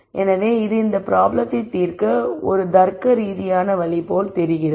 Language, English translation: Tamil, So, that seems like a logical way to solve this problem